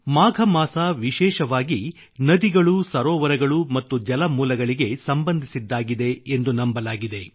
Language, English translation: Kannada, The month of Magh is regarded related especially to rivers, lakes and water sources